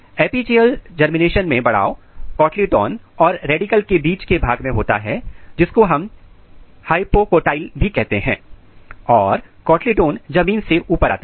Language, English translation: Hindi, In epigeal germination elongation occurs in the region between cotyledon and the radical which is also called hypocotyl and cotyledons comes above the ground